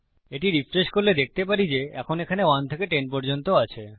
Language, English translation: Bengali, If we refresh this, we can see theres 1 to 10 now